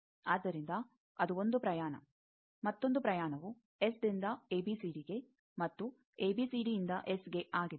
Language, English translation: Kannada, So, that is that was 1 journey another journey is S to ABCD and ABCD to s